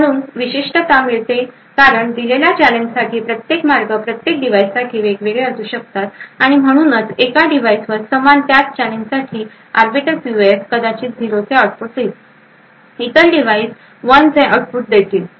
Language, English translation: Marathi, So the uniqueness is obtained because each of these paths for a given challenge would be different for each device and therefore on one device the same Arbiter PUF for the same challenge would perhaps give an output of 0, while on other device will give output of 1